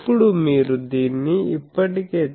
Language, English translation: Telugu, Now, so, if you do this already it is d theta